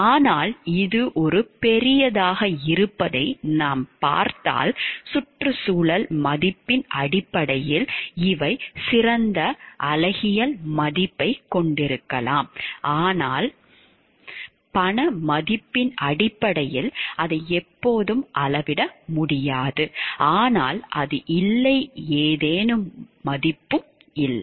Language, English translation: Tamil, But if we see otherwise this has a great these have great aesthetic value maybe great value from terms of in terms of ecological value, but it may not always be possible to quantify it in terms of monetary value, but that does not mean it does not have any worth